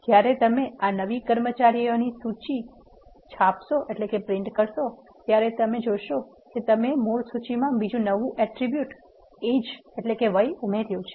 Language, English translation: Gujarati, When you print this new employee dot list you will see that you have added another attribute ages to the original list